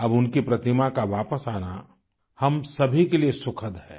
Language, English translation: Hindi, Now the coming back of her Idol is pleasing for all of us